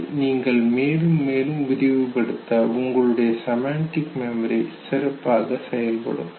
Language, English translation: Tamil, The more and more better is, your semantic memory